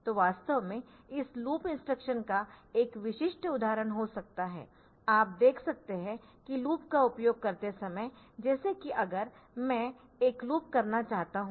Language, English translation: Hindi, So, actually a typical example can be of this loop instruction, you see and that while using a loop like say if I want to have a loop